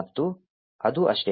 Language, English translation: Kannada, And that is it